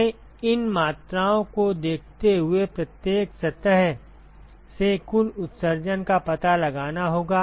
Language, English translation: Hindi, We need to find out the total emission from every surface given these quantities